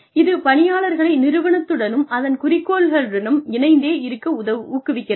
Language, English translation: Tamil, It encourages employees, to stay connected, with the organization and its goals